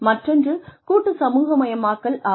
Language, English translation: Tamil, So, that is an individual socialization